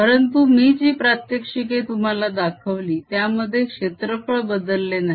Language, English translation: Marathi, however, the demonstration i showed you was those where no change of area took place